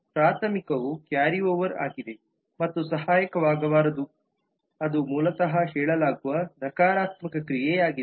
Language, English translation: Kannada, the primary is a carry over and the auxiliary is cannot be which basically is a negative action that is being said